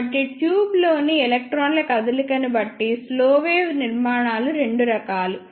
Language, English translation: Telugu, So, slow wave structures are of two types depending upon the movement of electrons in the tube